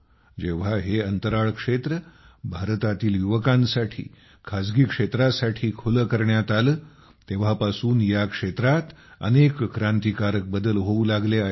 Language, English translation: Marathi, Since, the space sector was opened for India's youth and revolutionary changes have started coming in it